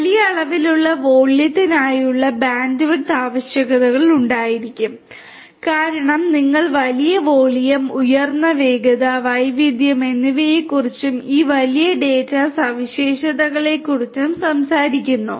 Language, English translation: Malayalam, Bandwidth requirements for huge data volume will be there because you are talking about huge volume, high velocity, volume, variety, and so on all this big data characteristics